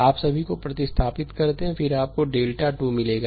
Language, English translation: Hindi, All you replace that, then you will get the delta 2